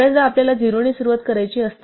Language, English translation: Marathi, Quite often we want to start with 0